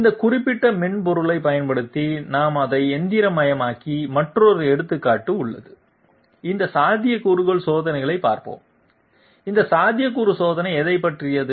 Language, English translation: Tamil, There is another example in which we have also machined it out using this particular software, let s see this feasibility test, what is this feasibility test concerned about